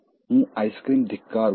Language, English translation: Gujarati, I hate ice creams